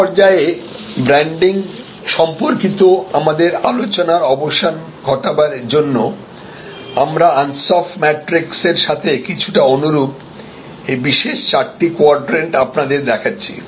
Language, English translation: Bengali, So, to conclude an our discussion at this stage on branding we present this particular four quadrant somewhat similar to the ansoff matrix